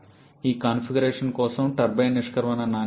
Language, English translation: Telugu, Turbine exit quality for this configuration is 0